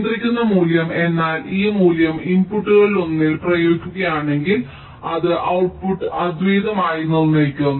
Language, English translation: Malayalam, controlling value means if this value is applied on one of the inputs, it will uniquely determine the output